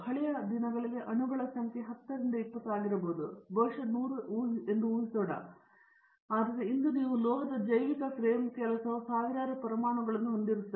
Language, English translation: Kannada, In the olden days the number of atoms in a molecule was very small may be 10 20, may be 100 let us assume, but today for example, you have metal organic frame work there will be thousands of atoms